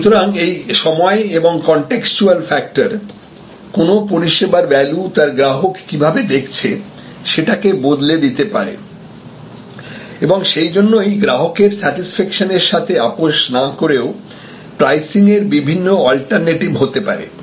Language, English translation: Bengali, So, the time factor and the contextual factors can change the perceived value of a particular service and therefore, different sort of pricing alternatives can become available without compromising on customer satisfaction